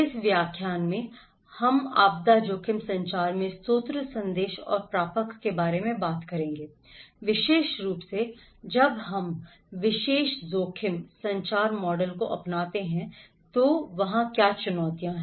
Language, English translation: Hindi, In this lecture, we will talk about source, message and receiver in disaster risk communication, particularly, what are the challenges there when we adopt particular risk, communication model